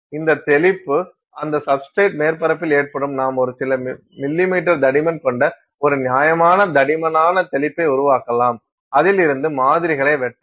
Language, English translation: Tamil, So, this spray will occur on the surface of that substrate, you can make a reasonably thick spray of a few millimeters thick and from that you can cut out samples